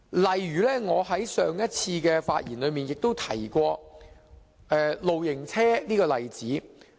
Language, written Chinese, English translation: Cantonese, 例如，我在上一次的發言中提及露營車這個例子。, An example is caravans which I discussed in my speech on the previous occasion